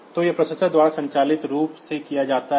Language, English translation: Hindi, So, that is done automatically by the processor